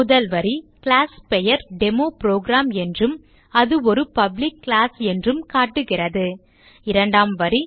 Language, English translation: Tamil, The first line indicates that the class name is DemoProgram and its a Public class The second line indicates that this is the main method